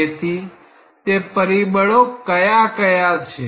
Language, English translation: Gujarati, So, what are those factors